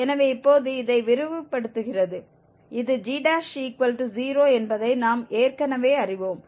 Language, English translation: Tamil, So, expanding this now and we know already that this g prime s is 0